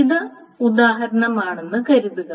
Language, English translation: Malayalam, So that is the first example